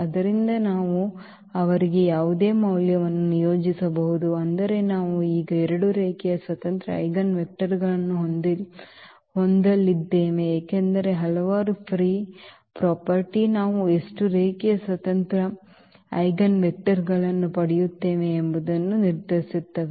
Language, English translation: Kannada, So, we can assign any value to them; that means, we are going to have now two linearly independent eigenvectors because a number of free variables decide exactly how many linearly independent eigenvectors we will get